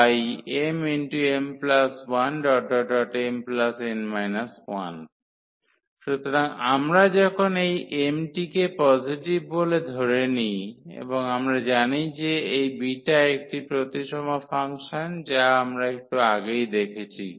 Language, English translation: Bengali, So, same thing we can do when we assume this m to be positive and noting that this beta is a symmetric function which we have just seen before